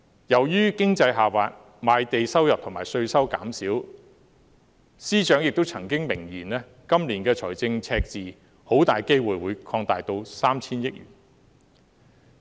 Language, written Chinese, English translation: Cantonese, 由於經濟下滑，賣地收入及稅收減少，司長亦曾經明言今年的財政赤字很大機會會擴大至 3,000 億元。, Owing to the economic downturn revenue from land sales and taxes has decreased . As clearly stated by the Financial Secretary it is highly possible that the fiscal deficit will expand to 300 billion this year